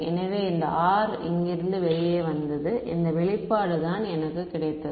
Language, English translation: Tamil, So, this R came out from here and this is the expression that I got